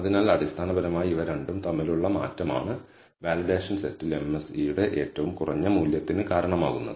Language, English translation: Malayalam, So, it is basically that trade o between these two that gives rise to this minimum value of the MSE on the validation set